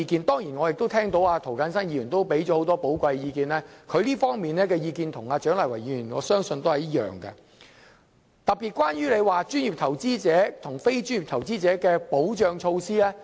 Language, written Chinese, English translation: Cantonese, 當然我也聽到涂謹申議員給予很多寶貴意見，他這方面的意見與蔣麗芸議員的意見相信是一樣的，特別是關於專業投資者和非專業投資者的保障措施。, Of course I have listened to a lot of valuable comments made by Mr James TO . His opinions probably agree with those of Dr CHIANG Lai - wan and especially the views on the protection measures for professional investors and non - professional investors